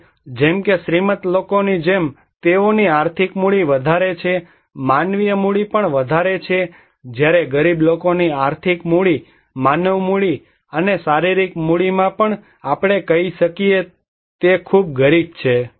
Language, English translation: Gujarati, Now, these like for example the rich people they have greater financial capital, also greater human capital whereas the poor they are very poor at financial capital, human capital and physical capital we can say